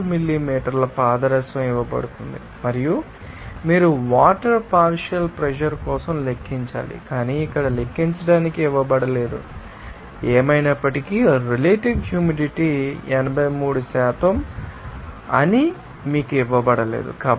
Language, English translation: Telugu, 5 millimeter mercury and also you have to calculate for the partial pressure of the water, but is not given to you have to calculate here anyway is not given to you also you know that at the relative humidity is 83%